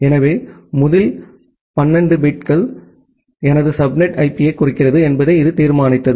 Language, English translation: Tamil, So, this determined that well the first 12 bits denotes my subnet IP